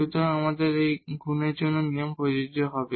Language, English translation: Bengali, So, here again the product rule will be applicable